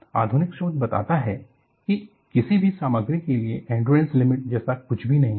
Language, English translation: Hindi, See, the modern research tells, there is nothing like endurance limit for any of the material